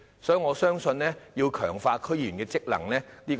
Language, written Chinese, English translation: Cantonese, 所以，我相信有需要強化區議員的職能。, Hence I believe the functions of DC members need to be enhanced